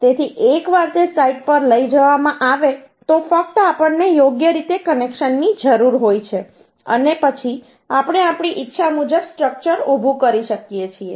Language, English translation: Gujarati, So once it is transported to the site, just we need the connections properly and then we can erect the structure as we as desire